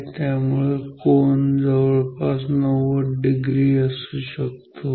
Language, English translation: Marathi, So, maybe this angle is almost 90 degree ok